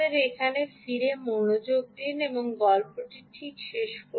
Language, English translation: Bengali, let us turn our attention back here and complete the story